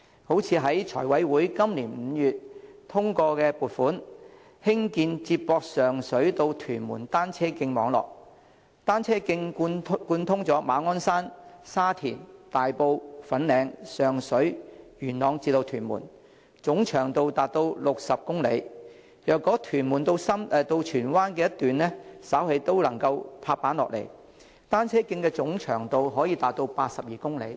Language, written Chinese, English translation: Cantonese, 例如，財務委員會今年5月通過撥款，興建接駁上水至屯門的單車徑網絡，單車徑貫通馬鞍山、沙田、大埔、粉嶺、上水、元朗至屯門，總長度達60公里；如果屯門至荃灣的一段稍後亦能"拍板"，單車徑總長度可達82公里。, For example in May this year the Finance Committee approved the funding application to construct a cycle track network connecting Sheung Shui and Tuen Mun . Upon completion the cycle track network will span across 60 km in length connecting Ma On Shan Sha Tin Tai Po Fanling Sheung Shui Yuen Long and Tuen Mun . If funding for the construction of the section between Tuen Mun and Tsuen Wan is also approved later the cycle track will have a length of 82 km in total